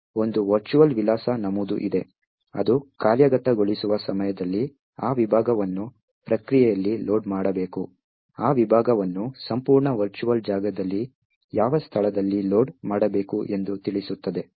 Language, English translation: Kannada, There is a virtual address entry which tells you where that segment has to be loaded in the process during the execution time, at what location should that segment be loaded in the entire virtual space